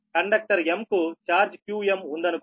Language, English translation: Telugu, assume conductor m has a charge q m